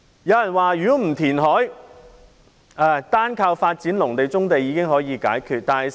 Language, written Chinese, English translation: Cantonese, 有人說如果不填海，單靠發展農地、棕地已經可以解決問題。, It has been suggested that the development of agricultural lands and brownfield sites alone can solve the problem without the need of reclamation